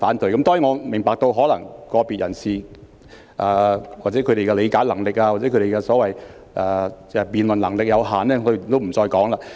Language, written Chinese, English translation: Cantonese, 當然，我明白可能是個別人士的理解能力或辯論能力有限，我也不再多說了。, Of course I understand that probably it is because some people have limited comprehension ability or debating skills and I am not going to speak further on this point